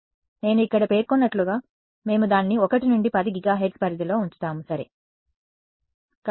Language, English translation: Telugu, So, as I have mentioned over here, we keep it roughly in the 1 to 10 gigahertz range ok What about terahertz